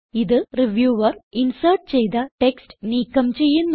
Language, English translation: Malayalam, This deletes the text inserted by the reviewer